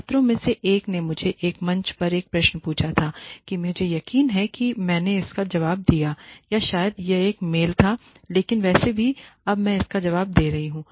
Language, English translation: Hindi, One of the students had asked me a question on a forum that I am not sure if I responded to it or probably it was a mail but anyway I am responding to it now